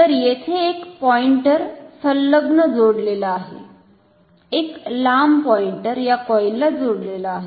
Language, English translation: Marathi, So, there is a pointer attached here, a long pointer attached to this coil